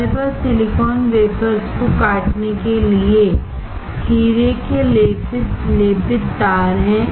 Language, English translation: Hindi, We have diamond coated wires used to cut the silicon wafers